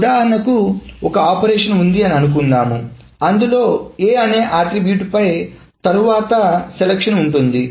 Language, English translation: Telugu, So suppose there is an operation after which there is a selection on a particular attribute A